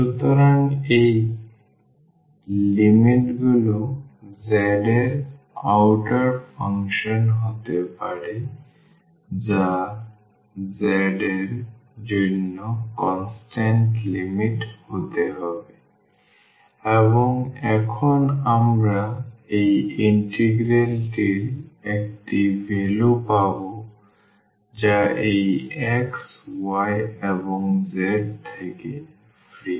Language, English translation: Bengali, So, these limits can be the function of z and the outer one then that has to be the constant limits for z and now we will get a value of this integral which is free from this x y and z